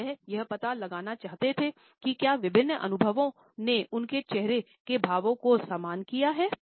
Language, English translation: Hindi, And he wanted to find out whether different experiences brought similar facial expressions for them